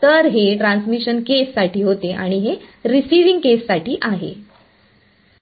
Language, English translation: Marathi, So, this was for the transmission case and this is for the receiving case